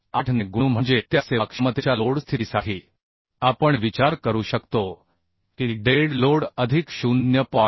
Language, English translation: Marathi, 8 that means for that serviceability load condition we can consider that dead load plus 0